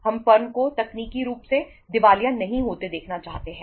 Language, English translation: Hindi, We do not want to see the firm becoming technically insolvent